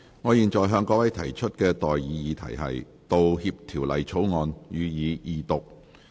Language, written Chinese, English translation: Cantonese, 我現在向各位提出的待議議題是：《道歉條例草案》，予以二讀。, I now propose the question to you and that is That the Apology Bill be read the Second time